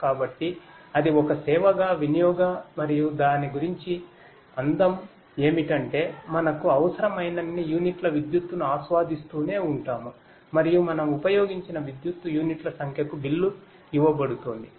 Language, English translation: Telugu, So, that is utility as a service and the beauty about it is that we keep on enjoying as many units of electricity as we need and we will be billed for the number of units of electricity that we have used